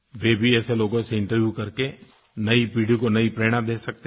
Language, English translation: Hindi, They too, can interview such people, and inspire the young generation